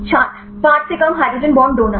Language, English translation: Hindi, Less than 5 hydrogen bond donor